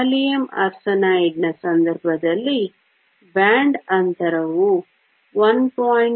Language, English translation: Kannada, In the case of gallium arsenide, the band gap is 1